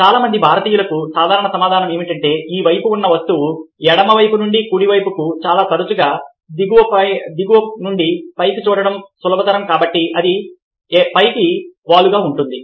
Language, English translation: Telugu, the generic answer for most Indians would be that this object o this side is easier to look at from left to right and very often from the bottom to the top, so its slanting up